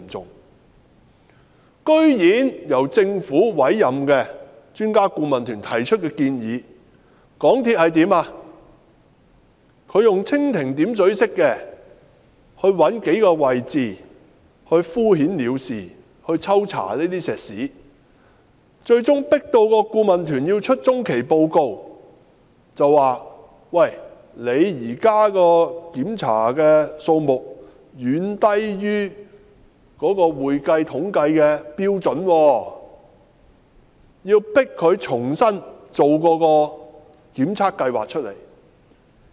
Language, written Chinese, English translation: Cantonese, 然而，對於由政府委任的專家顧問團提出的建議，港鐵公司居然以蜻蜓點水式的方法，找出數個位置抽查混凝土，敷衍了事，最終迫使顧問團發出中期報告，指港鐵公司現時檢查的數目遠低於會計統計的標準，要求迫使港鐵公司重新制訂一份檢測計劃。, Yet with regard to the suggestions made by the Expert Adviser Team appointed by the Government MTRCL dared to adopt a superficial approach by identifying several locations for concrete spot checks in a perfunctory manner . As a result the Expert Adviser Team cannot but issue an interim report stating that the existing number of checks performed by MTRCL is far below the statistical standard and requires and presses MTRCL to draw up another testing proposal